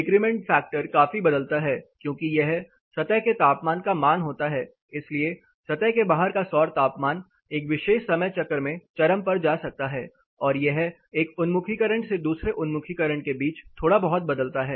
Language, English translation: Hindi, The decrement factor considerably varies because it is a surface temperature value, so the ambient outside surface solar temperature can go peak at a particular time cycle and it may vary little bit between one side to the other orientation; one orientation to the other orientation